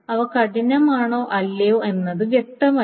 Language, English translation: Malayalam, It is not clear whether they are hard or not